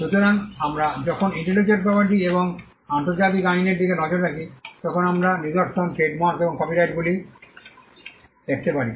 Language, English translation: Bengali, So, when we look at intellectual property and international law, we can look at patterns, trademarks and copyrights